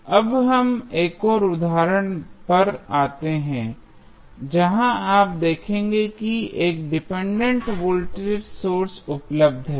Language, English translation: Hindi, So, now, let us come to the another example, where you will see there is 1 dependent voltage source available